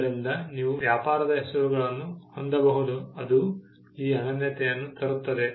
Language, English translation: Kannada, So, you could have trade names which will bring this uniqueness